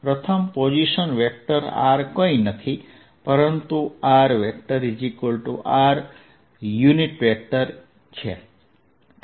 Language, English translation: Gujarati, position vector r is nothing but r unit vector